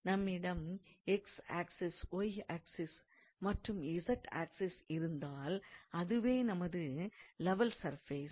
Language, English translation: Tamil, So, that means, if we have let us say x axis, y axis and z axis and let us say if this is our level surface